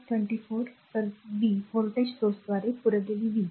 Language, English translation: Marathi, So, minus 24 so, power supplied by the voltage source right